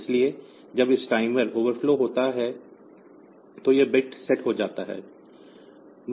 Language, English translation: Hindi, So, when this timer overflows this bit is set